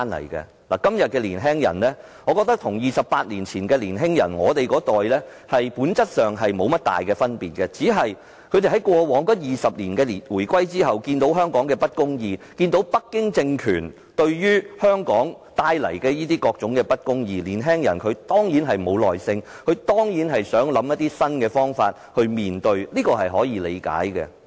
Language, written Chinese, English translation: Cantonese, 我覺得今天的年輕人與28年前我們那一代的年輕人，在本質上並沒有太大分別，只是他們在回歸後的20年來，每當看到香港的不公義，以及北京政權為香港所帶來的不公義，便失去耐性，希望想出一些新方法來面對，這是可以理解的。, I think young people of today do not differ much in nature from our generation 28 years ago . It is only that 20 years after the reunification whenever they saw injustices in Hong Kong or injustices brought about by the Beijing regime to Hong Kong they would be impatient and come up with some new reactions which is understandable